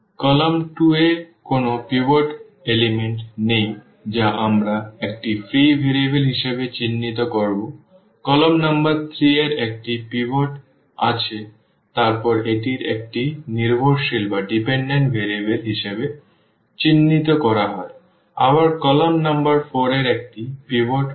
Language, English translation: Bengali, There is no pivot element in column 2 we will mark as a free variable; column number 3 has a pivot then this is marked as a dependent variable; again column number 4 has a pivot